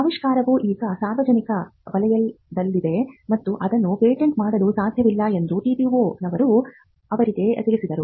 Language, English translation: Kannada, So, the TTO’s told them that the discovery was now in the public domain and they could not patent it